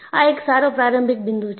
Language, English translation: Gujarati, So, it is a good starting point